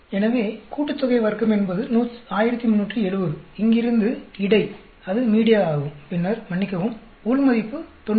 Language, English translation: Tamil, So, the sum of square is 1370 from here between that is media and then sorry, within is 90